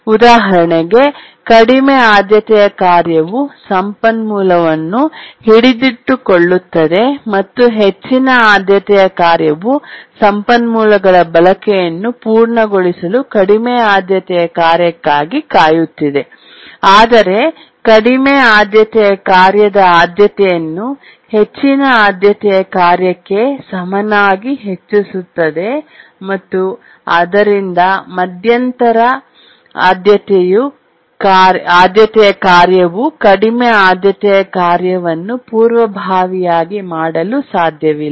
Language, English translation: Kannada, So, this is an example here, low priority task holding the resource, high priority task waiting for the low priority task to complete uses of the resource and the priority of the priority task is raised to be equal to the high priority task so that the intermediate priority task cannot preempt the low priority task and this is called as the priority inheritance scheme